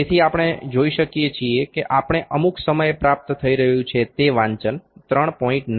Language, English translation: Gujarati, So, we can see that reading that we are getting at some point is 3